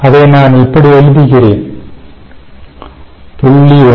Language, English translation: Tamil, let me write down here: x